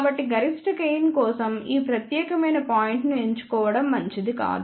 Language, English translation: Telugu, So, it is not a good idea to choose this particular point for maximum gain